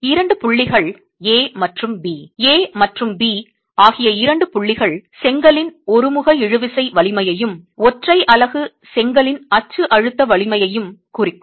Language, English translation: Tamil, The two points A and B would represent the uniaxial tensile strength of the brick and the uniaxial compressive strength of the brick unit